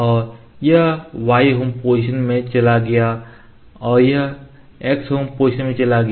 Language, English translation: Hindi, And it went to y home position and it went to x home position